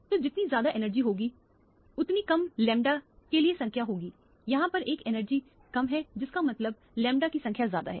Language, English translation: Hindi, So, higher the energy, lower the number for the lambda and lower the energy here that is higher the number for the lambda